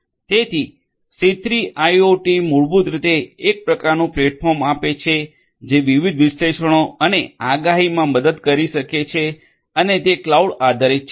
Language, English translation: Gujarati, So, C3 IoT basically offers some kind of a platform that can help in different analytics and prediction and it is cloud based